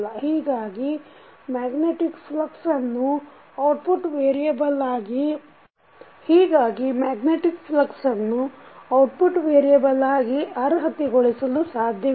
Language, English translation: Kannada, So, that is why the magnetic flux does not qualify to be an output variable